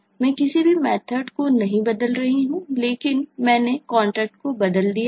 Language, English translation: Hindi, i am not changing any of the methods, but what i have changed is i have changed the contract